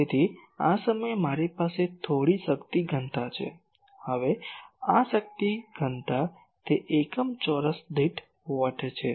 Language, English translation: Gujarati, So, at this point I have some power density, now this power density, it is unit is watts per metre square